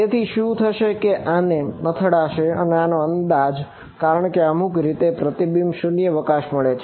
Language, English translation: Gujarati, So, what will happen is this hits it like this and due to the approximation some way will get reflected vacuum